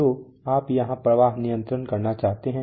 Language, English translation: Hindi, So what you want to control here is flow let us see